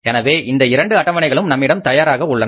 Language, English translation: Tamil, So these two schedules are ready with us